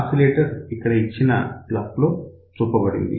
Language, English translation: Telugu, So, oscillator is shown in the block over here